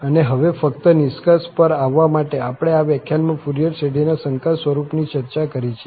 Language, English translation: Gujarati, And, now, just to conclude, so, we have discussed in this lecture, the complex form of the Fourier series